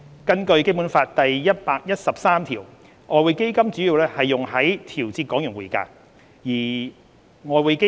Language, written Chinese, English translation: Cantonese, 根據《基本法》第一百一十三條，外匯基金主要用於調節港元匯價。, According to Article 113 of the Basic Law EF is primarily used for regulating the exchange value of the Hong Kong dollar